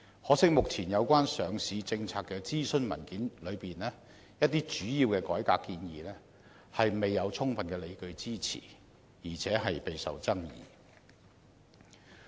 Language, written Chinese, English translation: Cantonese, 可惜，目前有關上市政策的諮詢文件中，一些主要的改革建議未有充分的理據支持，而且備受爭議。, Yet regrettably some major proposals in the consultation paper on proposed enhancements to the existing listing policy are not fully justified and are highly controversial